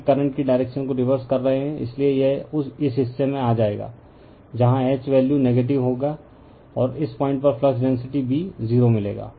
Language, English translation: Hindi, Further we are reversing the direction of the current, so it will come to this portion, where you will get H value will be negative, and you will find your flux density B at this point is 0 right